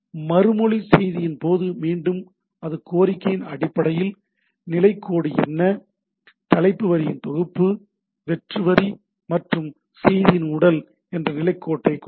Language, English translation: Tamil, In the in case of a response message, again it has a status line that based on the request, what is the status line, a set of header lines, blank line and the body of the message right